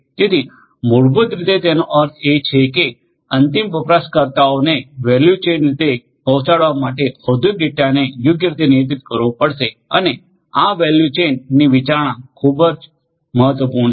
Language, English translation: Gujarati, So, you know basically what it means is that the data industrial data will have to be handled properly in order to deliver value to the end users properly and this value chain is very value chain consideration is very important